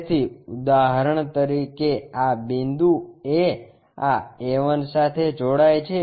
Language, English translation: Gujarati, So, for example, this point A, goes connects to this A 1